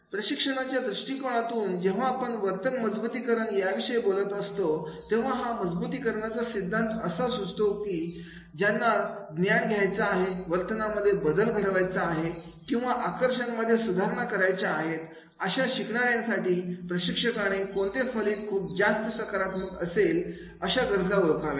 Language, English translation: Marathi, From a training perspective when we talk about the reinforcement of behavior then the reinforcement theory suggests that for learners to acquire knowledge change behavior or modify skills, the trainer needs to identify what outcomes the learner finds most positive